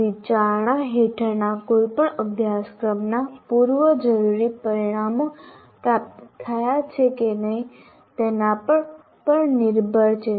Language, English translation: Gujarati, It is also dependent on whether prerequisite outcomes of any of the course under consideration are attained or not